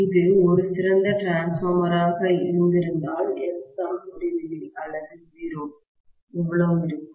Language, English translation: Tamil, If it had been an ideal transformer, how much will be Xm, infinity or 0